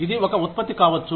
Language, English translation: Telugu, It could be a product